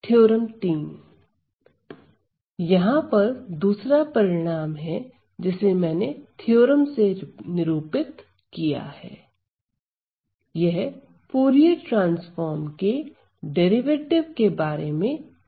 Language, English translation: Hindi, So, then there is another result which I denoted as a theorem it talks about the derivative of Fourier transform